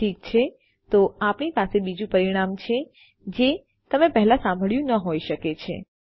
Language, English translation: Gujarati, Okay, we have another parameter which you may not have heard of before